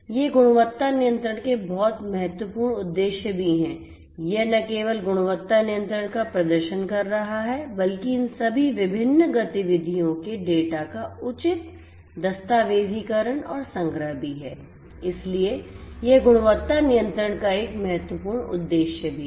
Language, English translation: Hindi, These are also very important objectives of quality control it is not just performing the quality control, but also the proper documentation and archiving of all these different activities data and so on that is also an important objective of quality control